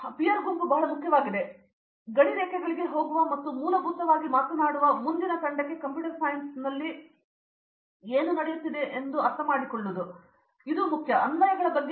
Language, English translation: Kannada, So peer group is very important, going across boundaries and the basically talking to the next team understanding what is happening there computer science is all about applications